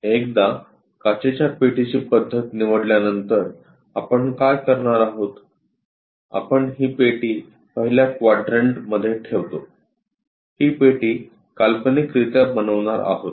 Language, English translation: Marathi, Once it is chosen as glass box method, what we are going to do is; we keep it in the first quadrant this box something like this is the box what we are going to construct imaginary one